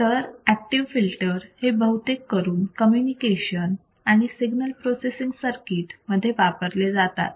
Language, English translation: Marathi, Active filters are mainly used in communication and processing circuits and signal processing circuit